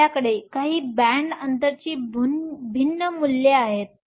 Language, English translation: Marathi, So, we have some different values of band gap